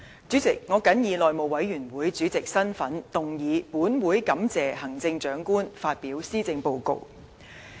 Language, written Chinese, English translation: Cantonese, 主席，我謹以內務委員會主席的身份，動議"本會感謝行政長官發表施政報告"的議案。, President as the House Committee Chairman I move the motion entitled That this Council thanks the Chief Executive for his address